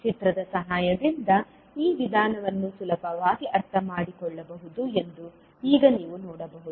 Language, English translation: Kannada, Now you can see that this procedure can be easily understood with the help of the figure